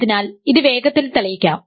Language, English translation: Malayalam, So, let us quickly prove this